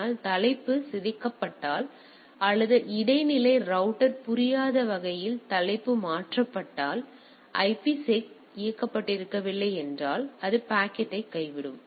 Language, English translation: Tamil, But if the header is tampered or header is changed in such a way that the intermediate router does not understand; if it is not IPSec enabled then it will drop the packet